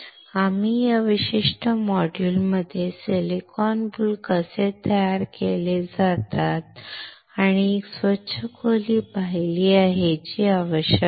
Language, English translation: Marathi, We have seen in this particular module how the silicon boules are manufactured and a clean room that is required